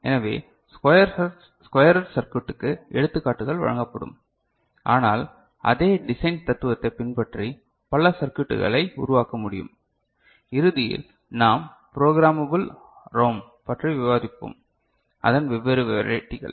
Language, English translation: Tamil, So, examples will be given for squarer circuit, but one can develop many other circuits following the same design philosophy and at the end we shall discuss programmable ROM, it is different verities